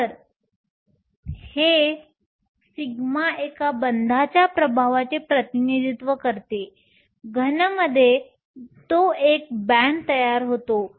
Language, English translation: Marathi, So, here this sigma represents the effect of one bond; in the solid, it forms a band